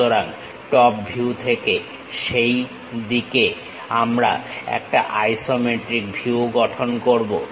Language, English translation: Bengali, So, from the top view we will construct isometric view in that way